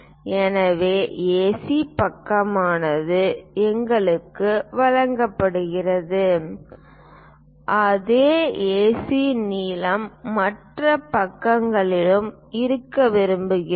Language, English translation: Tamil, So, AC side is given for us and the same AC length we would like to have it on other sides